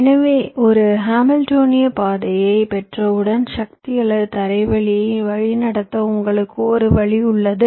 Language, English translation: Tamil, so once you get a hamiltionian path, you have one way of routing the power or the ground lines